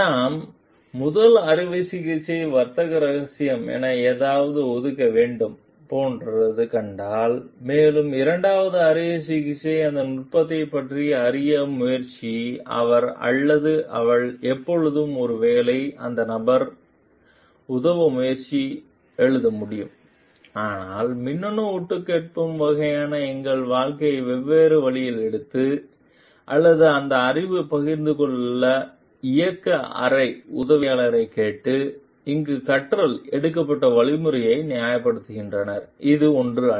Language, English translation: Tamil, If we find like the first surgeon has to reserve something as the trade secret and, also the second surgeon is trying to learn about that technique he or she can always maybe write to that person try to assist that person, but taking our life different route in the kinds of electronic eavesdropping, or asking the operating room assistant to share that knowledge the means taken for learning here is not something which is justified